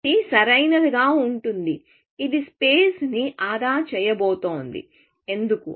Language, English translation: Telugu, So, it is going to be optimal; it is going to save on space; why